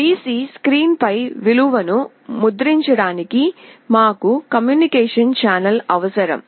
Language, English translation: Telugu, To print the value on the PC screen, we need a communication channel